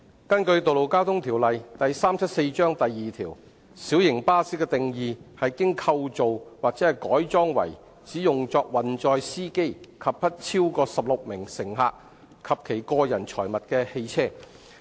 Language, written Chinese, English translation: Cantonese, 根據《道路交通條例》第2條，"小型巴士"的定義是"經構造或改裝為只用作運載司機及不超過16名乘客及其個人財物的汽車"。, According to section 2 of the Road Traffic Ordinance Cap . 374 light bus is defined as a motor vehicle constructed or adapted for use solely for the carriage of a driver and not more than 16 passengers and their personal effects